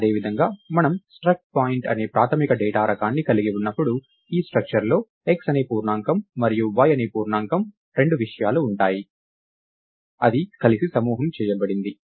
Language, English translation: Telugu, Similarly, when we have the basic data type called struct point, we are saying that this structure is going to have two things an integer called x and an integer called y, that is grouped together